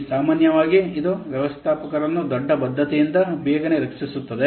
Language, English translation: Kannada, Here, normally it protects managers from making big commitment too early